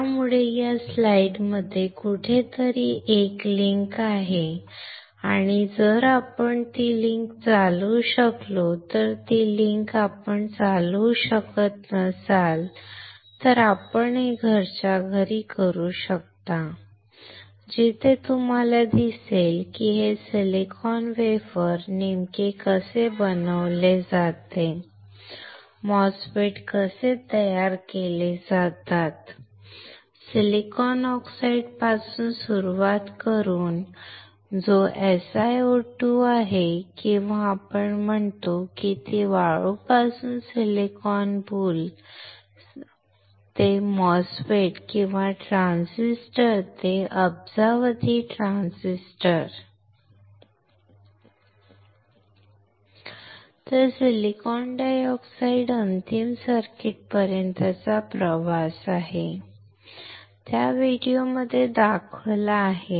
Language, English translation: Marathi, So, there is a link somewhere in this slides and if we can run that link its good if we cannot run that link then, you can do it at home where you will see how exactly this silicon wafer is fabricated, how the MOSFETs are fabricated, starting from the silicon oxide which is SiO2 or we say it is sand to silicon boule, silicon boule to MOSFET or transistors to billions of transistors